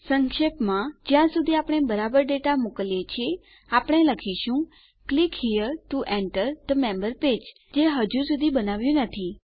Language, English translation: Gujarati, As long as we send the right data were going to say Click here to enter the member page which we havent created yet